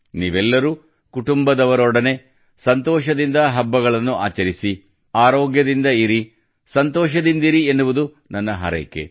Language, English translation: Kannada, I wish you all celebrate with joy, with your family; stay healthy, stay happy